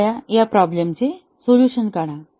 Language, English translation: Marathi, Please work out this problem